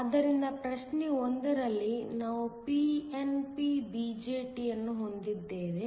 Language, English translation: Kannada, So, in problem 1, we have a pnp BJT